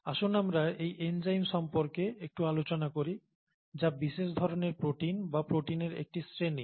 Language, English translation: Bengali, Let us talk a little bit about these enzymes which are specialised proteins or a class of proteins